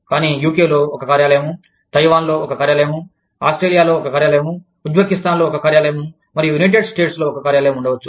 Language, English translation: Telugu, But, one office in UK, one office in Taiwan, one office in Australia, one office in Uzbekistan, and one office in the United States